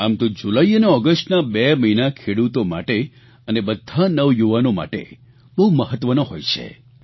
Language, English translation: Gujarati, Usually, the months of July and August are very important for farmers and the youth